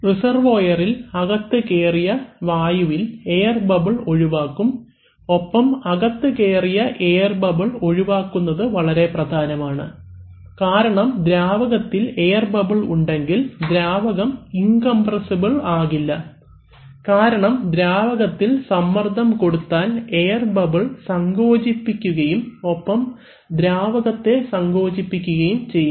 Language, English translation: Malayalam, In the reservoir the entrained air part, air bubbles get removed and removing entrained air bubbles actually very important because if you have, you can well imagine that if you have a fluid and in which if you have entrained air bubbles then the fluid does not remain incompressible anymore, because if you apply pressure to the fluid, it is the air bubbles which will get compressed and so therefore the fluid itself will get compressed